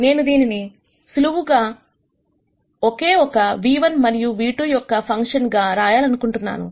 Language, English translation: Telugu, I want to write this simply as only a function of nu 1 and nu 2